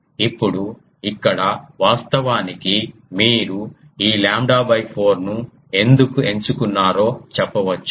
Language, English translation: Telugu, Now here you can say that actually this lambda 4 ah why it was chosen